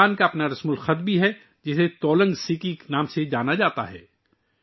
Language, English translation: Urdu, Kudukh language also has its own script, which is known as Tolang Siki